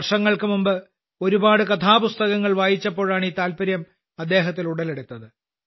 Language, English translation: Malayalam, Years ago, this interest arose in him when he read several story books